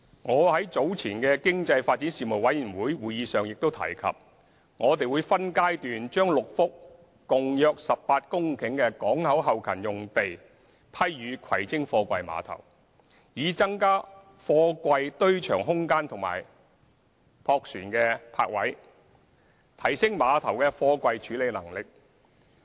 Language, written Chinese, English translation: Cantonese, 我在早前的經濟發展事務委員會會議上亦提及，我們會分階段將6幅共約18公頃的港口後勤用地批予葵青貨櫃碼頭，以增加貨櫃堆場空間及駁船泊位，提升碼頭的貨櫃處理能力。, As I mentioned earlier at a meeting of the Panel on Economic Development we will provide six port back - up sites totalling about 18 hectares for the container terminals in phases so as to expand the terminal yard space and increase the number of barge berths for enhancing container handling efficiency